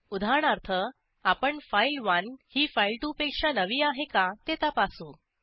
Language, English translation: Marathi, Here we check whether file1 is newer than file2